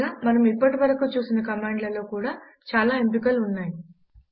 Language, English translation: Telugu, Moreover each of the command that we saw has many other options